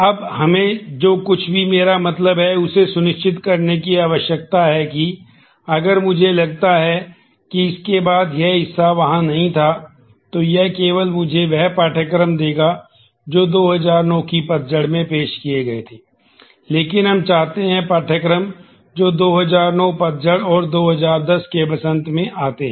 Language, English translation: Hindi, Now, we need to ensure that whatever I mean, if I assume that after this this part were not there, then this will only give me courses which are offered in fall 2009, but we want the courses that are in fall 2009 and in spring 2010